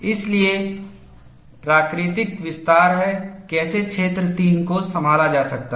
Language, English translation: Hindi, So, the natural extension is, how region 3 can be handled